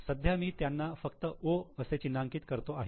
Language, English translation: Marathi, Right now I am just marking it as O